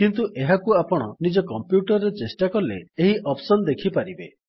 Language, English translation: Odia, But when you try this on your computer, you will be able to see this option